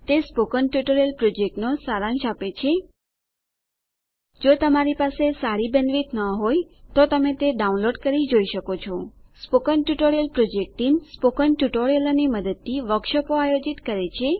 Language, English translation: Gujarati, It summarises the Spoken Tutorial project If you do not have good bandwidth, you can download and watch it The Spoken Tutorial Project Team Conducts workshops using spoken tutorials